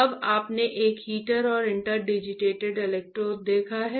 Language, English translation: Hindi, Now, you have seen an heater and interdigitated electrodes, right